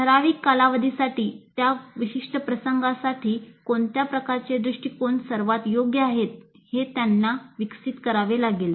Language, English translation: Marathi, So over a period of time they have to evolve what kind of approaches are best suited for their specific context